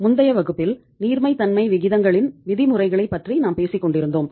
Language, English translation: Tamil, So in previous class we were talking about the say norms of liquidity ratios